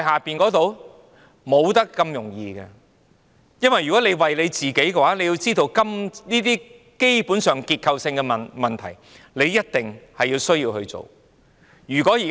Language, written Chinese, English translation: Cantonese, 不會這麼容易的，因為如果他為了自己，這些根本上的結構性問題一定要處理。, It would not be that easy because if he strives for his own good these fundamental structural problems must be dealt with